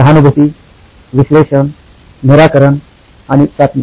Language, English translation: Marathi, Empathize, Analyze, Solve and Test